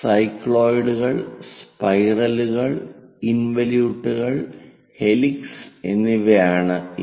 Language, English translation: Malayalam, These are cycloids, spirals, involutes and helix